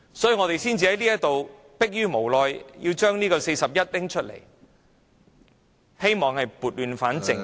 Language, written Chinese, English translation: Cantonese, 所以，我們才逼於無奈根據《議事規則》第41條動議議案，希望撥亂反正......, For this reason we have no alternative but to move a motion under RoP 41 with the hope of righting the wrong